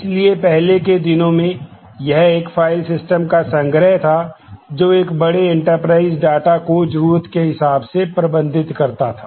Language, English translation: Hindi, So, in the earlier days, it was a collection of file systems which managed large enterprise data as is required